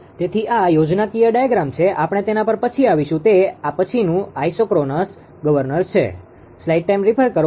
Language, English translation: Gujarati, So, this is schematic diagram; we will come to that later right next is that isochronous governor